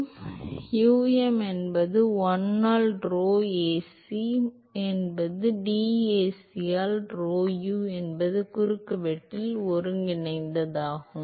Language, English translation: Tamil, So, um is 1 by rho Ac integral over the cross section rho u into dAc